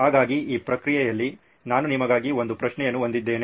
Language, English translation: Kannada, So in this process I have a question for you